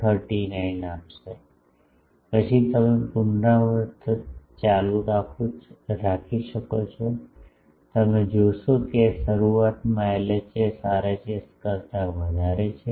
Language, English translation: Gujarati, 5539, then you go on doing the iteration you will see that initially the LHS is greater than RHS